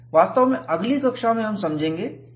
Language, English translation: Hindi, In fact, in the next class, we would understand what is J